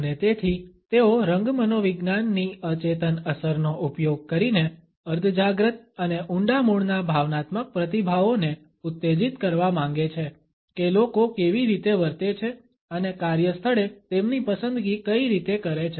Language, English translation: Gujarati, And therefore, they want to use the subliminal effect of color psychology to trigger subconscious and deeply rooted emotional responses in how people think behave and make their choices in the workplace